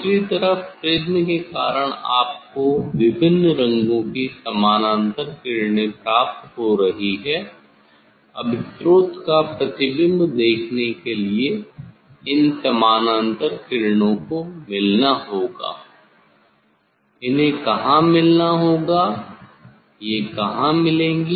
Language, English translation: Hindi, other side due to the effect of the prism you are getting the parallel rays of different colors Now, to see the image of the of the source this parallel rays they have to meet, they have to meet somewhere where they will meet